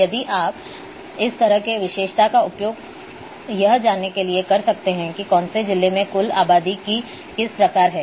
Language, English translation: Hindi, If you use this kind of attribute that which type of you know which district having or which districts are having what kind of total number of populations